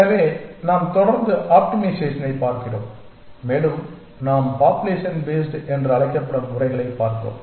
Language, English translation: Tamil, So, we continue looking at optimization and we are looking at methods which we called as population based